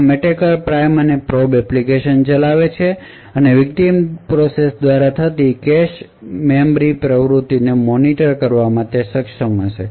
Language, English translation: Gujarati, Thus, the attacker runs a prime and probe application and is able to monitor the cache and memory activity by the victim process